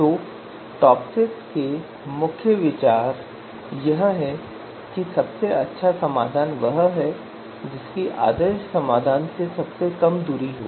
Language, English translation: Hindi, So main idea behind TOPSIS is that best solution is the one which has the shortest distance from the ideal solution